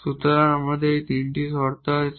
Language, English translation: Bengali, So, we have these 3 conditions